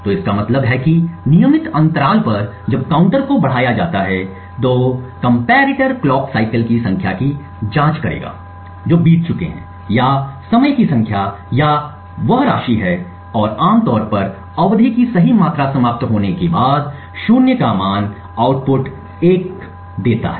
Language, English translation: Hindi, So this means that at regular intervals as the counter is incremented the comparator would check the number of clock cycles that elapsed or the number or amount of time that elapse and typically would give a value of zero after right amount of period has elapsed the comparator would provide an output of 1